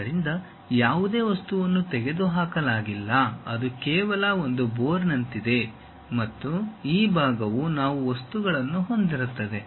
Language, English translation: Kannada, So, there is no material removed that is just like a bore and this part we will be having material, this part we will be having material